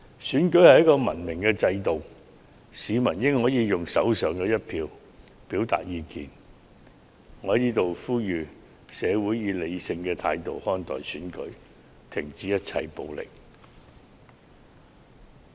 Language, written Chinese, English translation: Cantonese, 選舉是一種文明的制度，市民理應可用手上的一票表達意見，讓我在此呼籲社會各界以理性態度看待選舉，停止一切暴力。, Election is a civilized system . People should be able to express their views with their votes . Here I call on different sectors of society to treat the election with a rational attitude and stop all kinds of violence